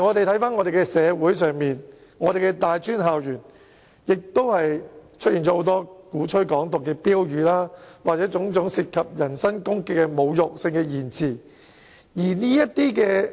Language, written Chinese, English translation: Cantonese, 香港社會和大專校園最近也出現了很多鼓吹"港獨"的標語，以及種種涉及人身攻擊的侮辱性言詞。, Many slogans advocating Hong Kong independence and various insulting expressions involving personal attacks have been found recently in tertiary institutions and the community in Hong Kong